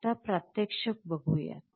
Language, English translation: Marathi, Let us now see the demonstration